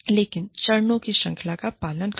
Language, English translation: Hindi, But, do follow, the series of steps